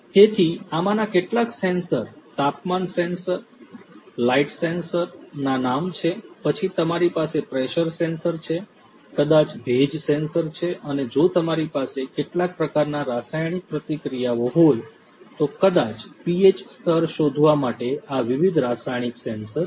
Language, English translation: Gujarati, So, the names of some of these sensors, temperature sensor, light sensors, then you have pressure sensors, maybe humidity sensor and if you have some kind of chemical reactions these different chemicals chemical sensors for detecting maybe the pH level right